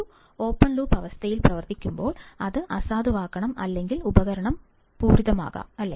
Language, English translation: Malayalam, When operated in an open loop condition, it must be nulled or the device may get saturated, right